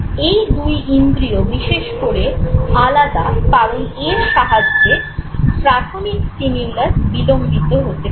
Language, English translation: Bengali, Now both these sense modalities are distinctive because they allow the initial stimulus to be prolonged